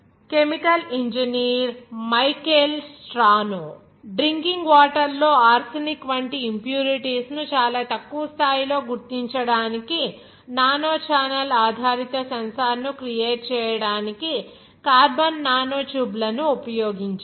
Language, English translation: Telugu, Chemical engineer Michael Strano used carbon nanotubes to create nanochannel based sensor to detect very low levels of impurities such as arsenic in drinking water